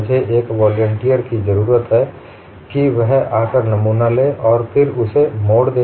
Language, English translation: Hindi, I need a volunteer to come and take the specimen and then twist it